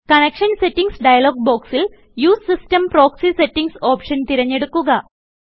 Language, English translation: Malayalam, In the Connection Settings dialog box, select the Use system proxy settings option